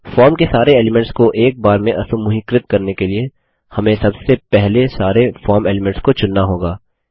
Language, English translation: Hindi, To ungroup all the form elements in one shot, we need to first select all the form elements